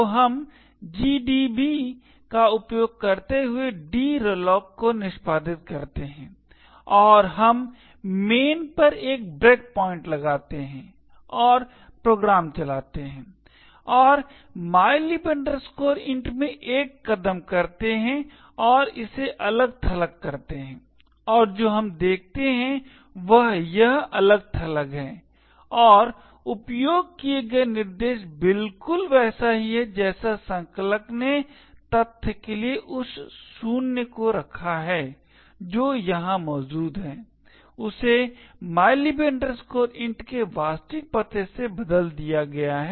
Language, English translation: Hindi, and we put a breakpoint at main and run the program and single step into mylib int and disassemble it and what we see is that this is the disassembly of mylib int, the disassembly and the instructions use are exactly same as what the compiler has put in except for the fact that the zero which is present here is replaced with the actual address of mylib int